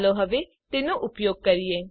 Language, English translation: Gujarati, Let us use it now